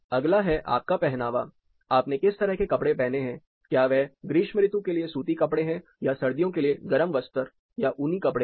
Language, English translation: Hindi, Then next is the type of clothing you wear; what type of clothing is it a light summer clothing cotton wear or is it like a thermal wear which, you would put in the winter, a woolen cloth